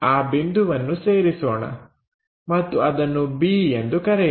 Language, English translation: Kannada, So, let us join that point and let us call b